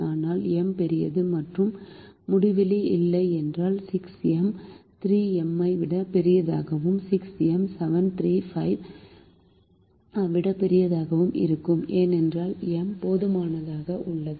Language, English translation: Tamil, six m will be bigger than three m, and six m minus seven will be bigger than three minus five, because m is sufficiently large